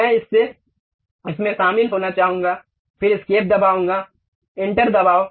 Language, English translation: Hindi, I would like to join that, then escape, press enter